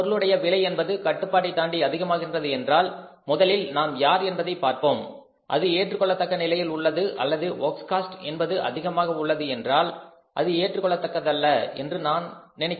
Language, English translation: Tamil, If the cost of the product is going up beyond our control, we will have to look first of all is the cost prime cost at the acceptable level or the works cost is more I think it is not at the acceptable level